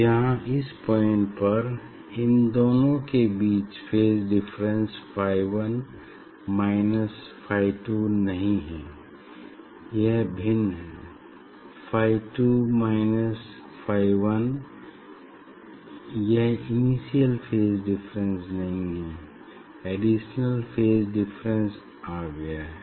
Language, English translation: Hindi, here at this point this phase difference between these two is not phi 1 minus phi 2, it is the it is different one or phi 2 minus phi 1, it is not that difference of the initial one